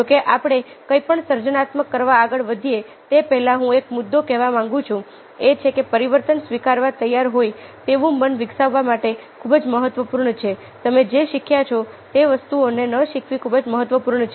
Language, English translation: Gujarati, however, before we gone on to do anything creative, i would like to make up a point, which is that is very important: to develop a mind which is willing to accept changes